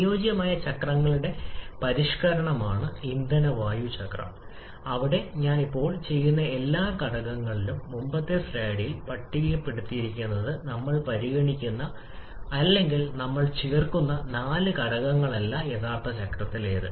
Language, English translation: Malayalam, Fuel air cycle is a modification of the ideal cycles where among all the factors that I just listed in the previous slide not all but four of the factors we are considering or we are adding to the actual cycle